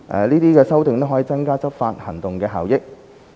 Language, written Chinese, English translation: Cantonese, 這些修訂可增加執法行動的效益。, These amendments can enhance the effectiveness of the enforcement actions